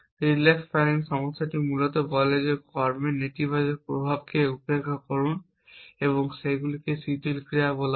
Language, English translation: Bengali, The relax planning problem is basically says ignore the negative effects of actions and those are called relax actions